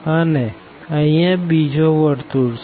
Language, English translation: Gujarati, So, this is the circle